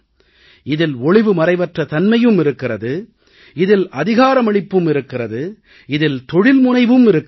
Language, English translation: Tamil, This has transparency, this has empowerment, this has entrepreneurship too